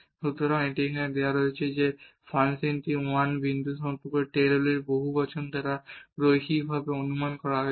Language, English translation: Bengali, So, it is given here that this function is linearly approximated by the Taylor’s polynomial about this point 1 1